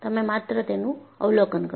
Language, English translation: Gujarati, You just observe it